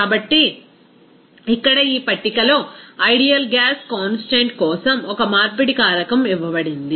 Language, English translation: Telugu, So, here in this table one conversion factor for that ideal gas constant is given there